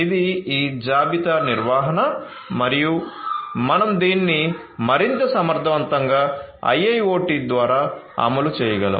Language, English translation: Telugu, So, this is this inventory management and how we can make it much more efficient through the implementation of IIoT